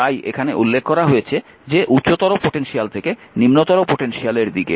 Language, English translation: Bengali, So, this is clear to you, that which is higher to lower and lower to higher potential, right